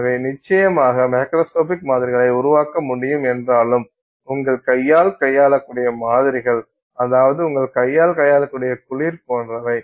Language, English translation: Tamil, So, while you can create definitely macroscopic samples, I mean samples that you can handle with your hand, at the end of once it is cool, etc